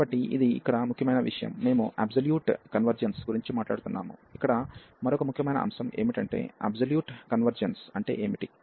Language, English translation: Telugu, So, this is the point here, we were talking about the absolute convergence, another important factor here that what is the absolute convergence